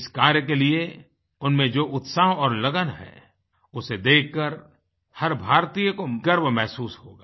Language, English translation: Hindi, Their dedication and vigour can make each Indian feel proud